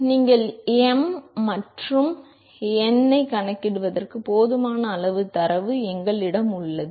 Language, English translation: Tamil, So, we have enough amount of data you should be able to calculate the m and n